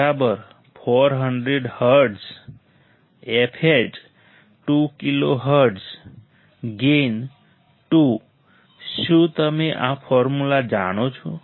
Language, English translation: Gujarati, So, f L = 400 hertz, f H 2 kilo hertz, gain 2 right have you know this formula